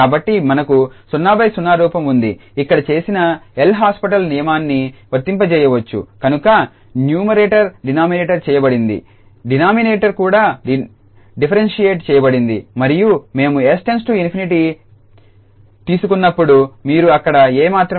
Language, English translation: Telugu, So, we have 0 by 0 form we can apply the L'Hopital rule, which is done so the numerator is differentiated denominator is also differentiated and then where this limit when we take s infinity, you will get only a there